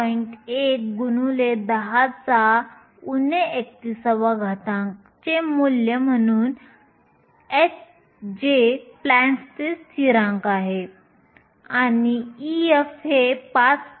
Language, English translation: Marathi, 1, 10 to the minus 31, h which is Plancks constant and e f is 5